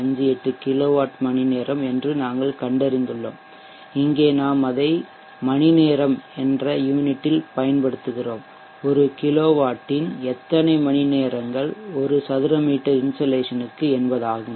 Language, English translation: Tamil, 58 kilowatt hours per meter square per and here we are using it with the unit hours so many hours of one kilowatt per meter square insulation it will give you 418